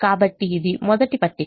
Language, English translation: Telugu, so this is the first table